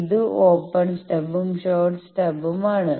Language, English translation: Malayalam, So, I can have an open stub or I can have a short stub